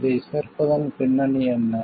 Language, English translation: Tamil, What is the idea behind inclusion of this